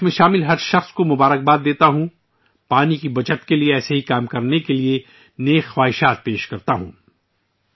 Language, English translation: Urdu, I congratulate everyone involved in this and wish them all the best for doing similar work for water conservation